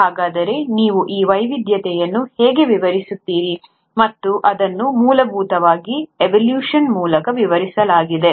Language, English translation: Kannada, So how do you explain this diversity, and that is essentially explained through evolution